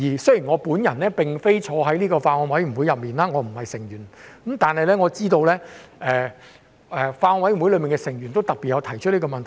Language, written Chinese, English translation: Cantonese, 雖然我沒有列席相關法案委員會會議，我不是有關委員，但我知道法案委員會內的委員亦有特別提出這個問題。, Although I have not attended the meeting of the Bills Committee concerned and I am not one of its members I know that some members of the Bills Committee have especially raised this question